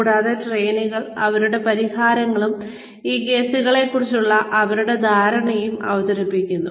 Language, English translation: Malayalam, And, the trainees present their solutions, and their understanding of these cases